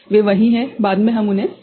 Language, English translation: Hindi, They are just there; later on we shall include them